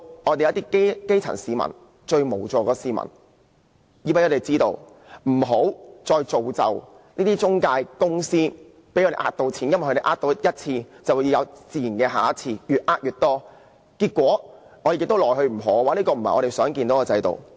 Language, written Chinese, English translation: Cantonese, 我們要讓基層市民、最無助的市民知道有關資訊，不要再造就這些中介公司騙錢的機會，因為它們欺騙過一次，便自然會有下次，越騙越多，結果我們對它們亦無可奈何，這不是我們想看到的制度。, Do not create any more opportunities for these intermediaries to swindle people out of their money because after they have cheated once they will certainly do it again thus deceiving more and more people . In the end we can do nothing about them . This is not the kind of system we want